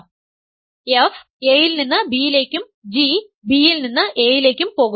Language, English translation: Malayalam, So, f goes from A to B, g goes from B to A